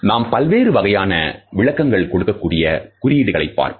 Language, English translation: Tamil, Let us look at the symbol which may have different interpretations